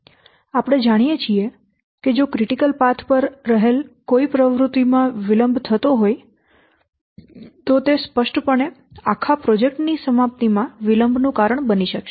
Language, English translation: Gujarati, We know that if there is any delay in an activity lying on the critical path, then that will obviously cause a delay in the completion of the whole project